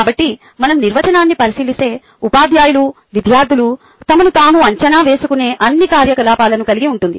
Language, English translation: Telugu, so if we look into the definition, assessment incorporates all activities which are undertaken by teachers, by students, in assessing themselves